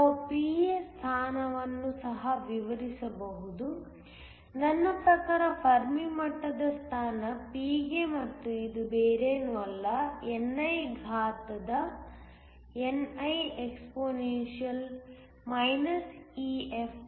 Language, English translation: Kannada, We can also relate the position of P mean the position of the fermi level to P and if you were to that P is nothing, but ni exponential is niexp EFp EFikT